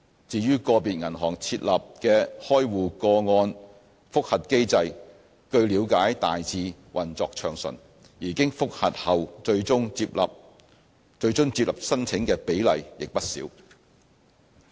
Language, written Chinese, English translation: Cantonese, 至於個別銀行設立了的開戶個案覆核機制，據了解大致運作暢順，而經覆核後最終獲接納申請的比例亦不少。, We understand that the review mechanisms set up by individual banks are operating smoothly in general with a fair proportion of applications finally accepted after review